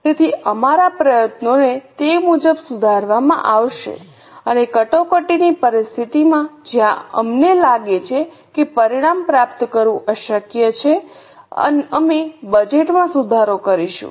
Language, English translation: Gujarati, So, our efforts will be accordingly revised and in an emergency situation where we feel that it is impossible to achieve the results, we will revise the budget